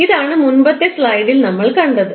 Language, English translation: Malayalam, This is what we saw in the previous slide